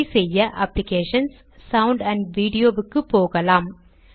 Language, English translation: Tamil, To do this, let us go to Applications gtSound amp Video